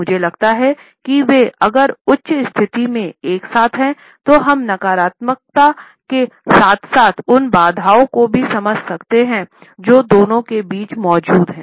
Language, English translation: Hindi, If they are clenched together in a higher position then we can understand at the negativity as well as the barriers which exist between the two are higher